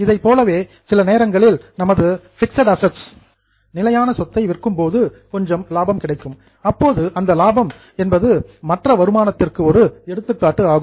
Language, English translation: Tamil, Same way, sometimes if we sell our fixed asset at profit, then the profit which you generate will be an example of other income